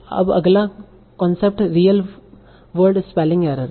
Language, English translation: Hindi, So now the next concept is the real word spelling errors